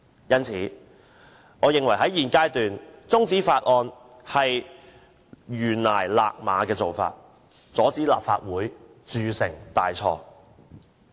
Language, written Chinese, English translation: Cantonese, 因此，我認為在現階段將《條例草案》中止待續，是臨崖勒馬的做法，亦可以阻止立法會鑄成大錯。, Therefore in my view adjourning the debate on the Bill at this stage is like holding in a horse near a precipice which can prevent the Legislative Council from making a big mistake